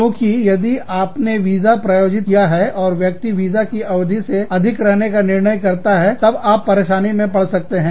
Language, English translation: Hindi, Because, if you have sponsored the visa, and the person decides to overstay the visa, then you could get into trouble